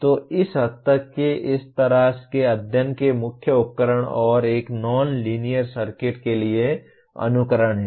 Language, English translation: Hindi, So to that extent the main tool of studying such and that to a nonlinear circuit is simulation